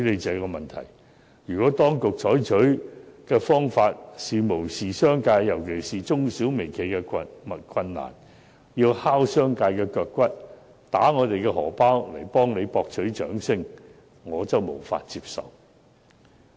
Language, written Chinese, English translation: Cantonese, 然而，如果當局無視業界，尤其是中小微企的困難，要拷打業界的腳骨，打劫我們的荷包來為政府博取掌聲，我則無法接受。, That said if the authorities turn a blind eye to the difficulties of the trade especially those of micro small and medium enterprises in their attempt to win applause for the Government to the detriment of the trade and at the expense of our pockets I will really find it unacceptable